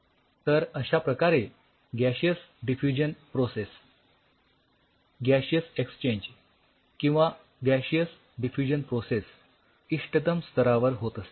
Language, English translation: Marathi, So, the gaseous diffusion process gaseous exchange or gaseous diffusion process happens at an optimal level right